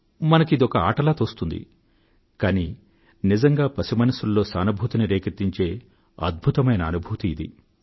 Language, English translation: Telugu, We think as if it is a game going on , but in actuality, this is a novel way of instilling empathy in the child's mind